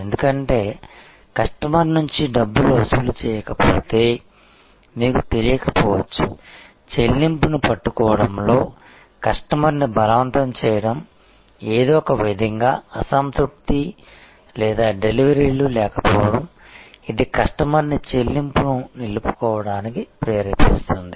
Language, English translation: Telugu, Because, unless the money is collected from the customer you would often not know, what is compelling the customer to hold on to the payment, whether there is some kind of dissatisfaction or lack in deliveries made, which is provoking the customer to retain payment